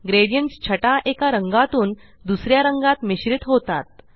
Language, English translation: Marathi, Gradients are shades that blend from one color to the other